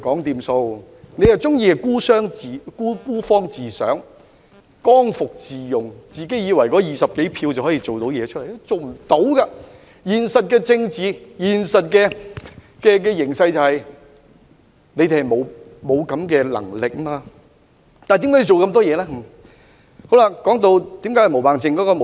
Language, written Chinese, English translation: Cantonese, 他們卻喜歡孤芳自賞，剛愎自用，自以為手持20多票便可成事，但現實的政治形勢是他們沒有這種能力，那麼他們為何還要做這麼多動作？, Yet they are so narcissistic and self - willed presuming that they can achieve it with the 20 - odd votes in their hands . Yet the reality of the political situation is that they do not have such an ability then why do they still have to make so many gestures?